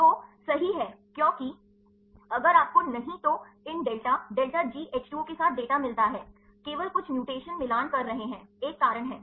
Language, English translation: Hindi, So, right because if you do not get the data with these delta delta G H 2 O only some mutations are matching is a reason